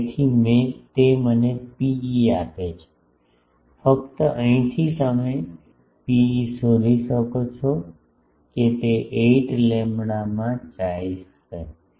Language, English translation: Gujarati, So, that gives me a rho e of rho e simply from here you can find rho e will be chi into 8 lambda